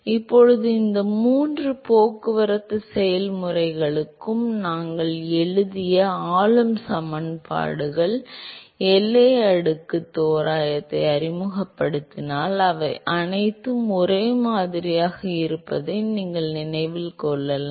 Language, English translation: Tamil, Now, you may also recall that the governing equations that we wrote for these three transport processes if we introduce the boundary layer approximation they all looks similar right